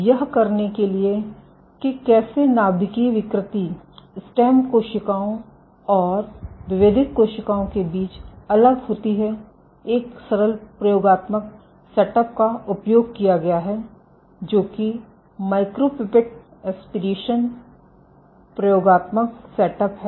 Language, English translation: Hindi, So, to do this to as a how nuclear deformity varies between stem cells and differentiated cells a simple experimental setup that has been used is the experimental setup of micropipette aspiration